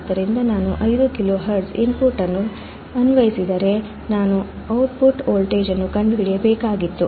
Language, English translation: Kannada, So, it is saying that if I apply the input of 5 kilohertz, I had to find the output voltage